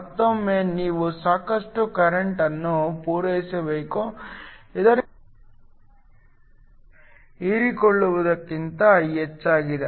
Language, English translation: Kannada, Once again you must supply enough current so that the emission is more than the absorption